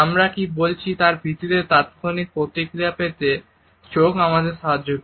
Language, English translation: Bengali, Eyes also help us to get the immediate feedback on the basis of whatever we are saying